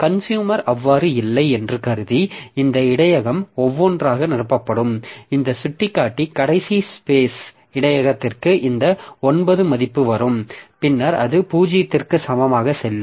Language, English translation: Tamil, So this buffer will be filled up one by one and this in pointer will come to this last space buffer this is a value of 9 and then it will go back to in equal to 0